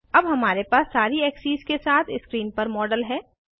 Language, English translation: Hindi, We now have the model on screen with all the axes